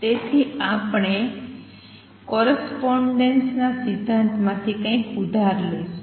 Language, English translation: Gujarati, So, we are going to borrow something from correspondence principle